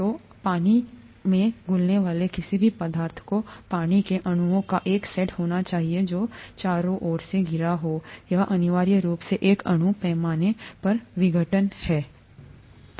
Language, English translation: Hindi, So any substance that dissolves in water needs to have a set of water molecules that surround it, that’s essentially what dissolution is at a molecule scale